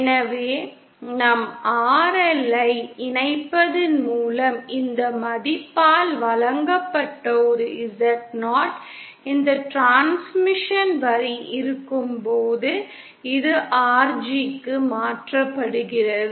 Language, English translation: Tamil, So we see, by connecting our RL this is converted to RG when we have this transmission line with a Zo given by this value